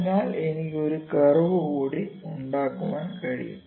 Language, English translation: Malayalam, So, can I can even make one more curve